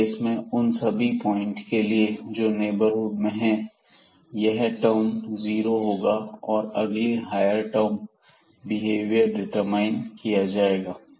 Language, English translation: Hindi, So, in that case at all those points in the neighborhood, this term will become 0 and the behavior will be determined from the next higher order terms